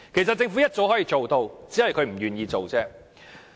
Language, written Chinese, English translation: Cantonese, 政府早就可以做到，只是不願做而已。, The Government was able to do so long ago; it just does not want to undertake the work